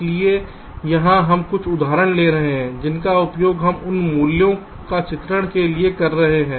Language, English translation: Hindi, so here we shall be taking some examples which we are using these values for illustrations